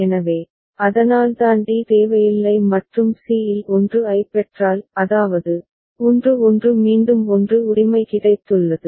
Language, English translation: Tamil, So, that is why d was not required and at c if it receives 1; that means, 1 1 again it has got 1 right